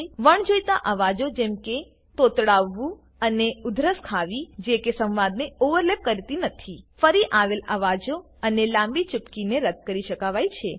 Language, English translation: Gujarati, Unwanted sounds such as stammering and coughs that dont overlap the speech, repeats, and long silences can be removed